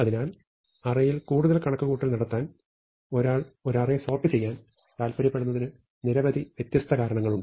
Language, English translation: Malayalam, So, there are very many different reasons why one may want to sort an array to make further computation on the array much easier